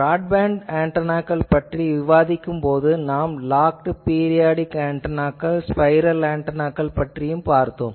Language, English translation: Tamil, While discussing broadband antennas we said that there are locked periodic antennas, spiral antenna etc